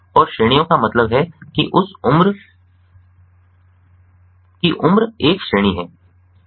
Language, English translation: Hindi, and categories means the, you know, age is one category